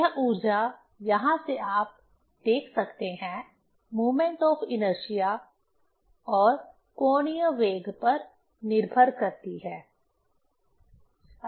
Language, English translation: Hindi, This energy, from here you can see, depends on the moment of inertia and angular velocity